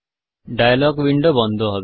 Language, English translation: Bengali, The dialog window gets closed